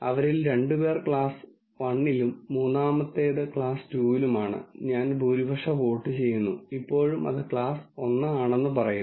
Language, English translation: Malayalam, If two of them belong to class 1 and the third one belongs to class 2, I do a majority vote and still say its class 1